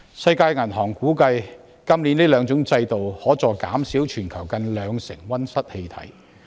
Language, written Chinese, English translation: Cantonese, 世界銀行估計，這兩種制度今年有助減少全球近兩成溫室氣體。, As estimated by the World Bank the two systems can help reduce global greenhouse gas emissions by some 20 % this year